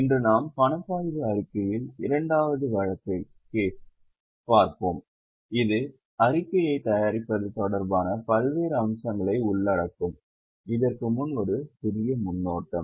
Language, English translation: Tamil, Today we will do second case on cash flow statement which will cover various aspects related to preparation of the statement